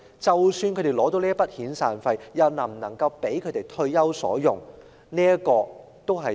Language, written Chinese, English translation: Cantonese, 即使他們能獲取一筆遣散費，又是否足夠他們退休所用？, Even if they do receive a severance payment will it adequately cover their retirement needs?